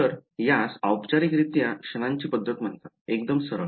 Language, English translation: Marathi, So, this is formally called the method of moments straight forward